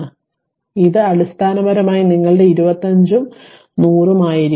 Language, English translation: Malayalam, So, it will be basically your ah it is your 25 and 100